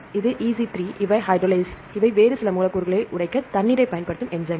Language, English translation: Tamil, So, the EC3 these are the hydrolases these are enzymes that use water to break up some other molecules